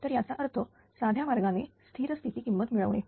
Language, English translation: Marathi, So, in that mean easy easy way to get the steady state value